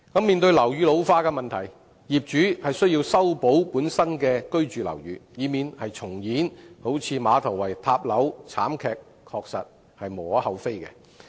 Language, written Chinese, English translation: Cantonese, 面對樓宇老化問題，業主需要維修本身的住宅樓宇，以免重演有如馬頭圍道唐樓倒塌的慘劇，確實是無可厚非的。, Given the ageing of buildings there is indeed no cause for complaint if owners are required to carry out maintenance of their residential buildings so as not to repeat tragedies such as the collapse of a tenement building collapse in Ma Tau Wai Road